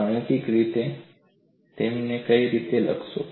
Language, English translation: Gujarati, Mathematically, how will you write it